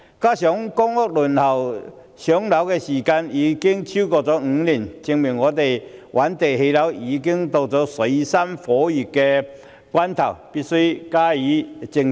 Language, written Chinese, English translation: Cantonese, 此外，公屋輪候時間超過5年，證明覓地建屋已經到了水深火熱的關頭，我們必須加以正視。, What is more the waiting time for public rental housing exceeds five years showing that it is a critical juncture for identifying land for housing development and we have to face it squarely